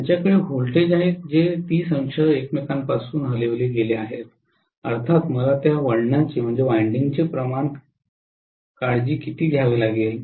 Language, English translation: Marathi, They will have voltages which are 30 degrees shifted from each other, of course I have to take care of the turn’s ratio